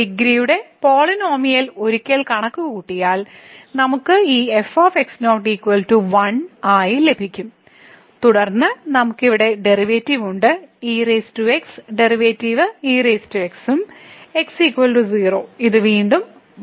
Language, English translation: Malayalam, And if we compute the polynomial of degree once we will get this as 1 and then we have the derivative here power the derivative will be power and then at is equal to this will again 1